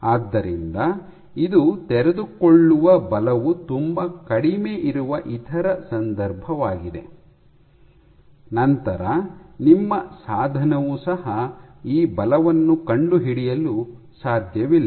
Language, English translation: Kannada, So, this is the other case where the unfolding forces are very low, then also your instrument you cannot detect those forces